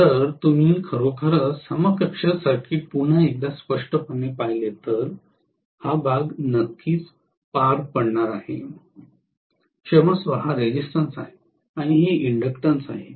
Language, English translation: Marathi, So, if you actually look at the equivalent circuit once again very clearly this portion is going to definitely carry, sorry this is the resistance and this is inductance